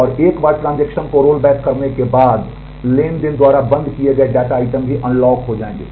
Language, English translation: Hindi, And once the transactions are rolled back the data items that were locked by the transactions will also be unlocked